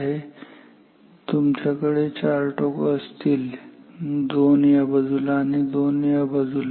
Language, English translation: Marathi, So, you have 4 lids 2 on this side 2 on this side